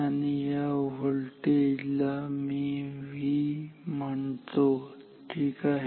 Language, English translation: Marathi, And let me call this voltage, so I am calling this voltage as V this is V ok